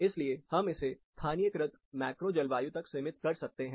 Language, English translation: Hindi, So, we can further narrow it down to localized macro climate